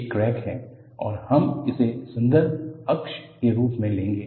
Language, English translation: Hindi, This is the crack and we will take this as a reference axis